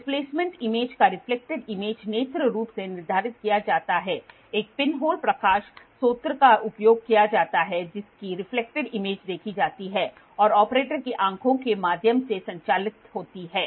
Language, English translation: Hindi, The displacement of reflected image is determined visually a pinhole light source is used whose reflected image is observed and operates through the operator eyes